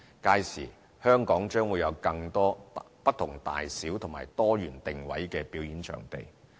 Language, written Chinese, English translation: Cantonese, 屆時，香港將會有更多不同大小和多元定位的表演場地。, By then Hong Kong will enjoy a greater variety of performance venues with different sizes and positioning